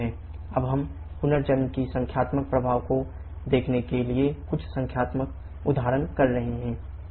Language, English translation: Hindi, We shall be doing couple of numerical examples just to see the numerical effect of regeneration